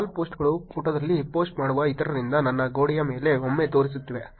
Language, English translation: Kannada, Wall posts are the once that are showing upon my wall from others who post on the page